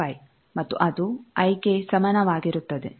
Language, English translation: Kannada, 15 and that is equal to i